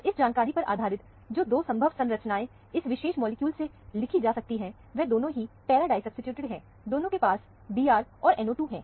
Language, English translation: Hindi, So, based on this information, the 2 possible structures that can be written for this particular molecule, both are para disubstituted; both of them contain the Br, and the NO 2 group